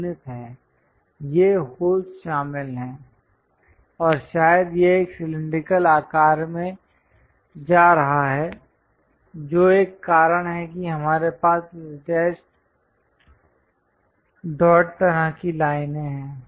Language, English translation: Hindi, These are holes involved and perhaps it might be going into cylindrical shape that is a reason we have this dash dot kind of lines